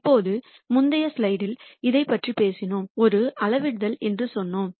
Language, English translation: Tamil, Now, in the previous slide we talked about this and we said alpha is a scalar